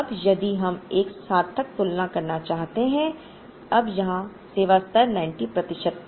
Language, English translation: Hindi, Now, if we want to make a meaningful comparison now, here service level was 90 percent